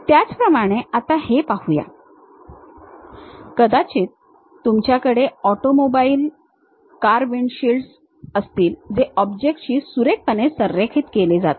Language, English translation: Marathi, Similarly, let us look at this, maybe you have an automobile car windshields have to be nicely aligned with the object